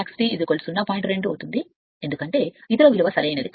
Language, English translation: Telugu, 2 because other value is not feasible right